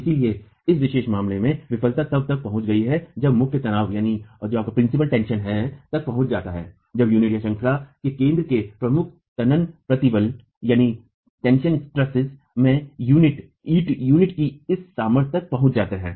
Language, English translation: Hindi, So, in this particular case, failure is set to have been reached when the principal tension stress, when the principal tensile stress at the center of the unit reaches the strength of the brick unit in tension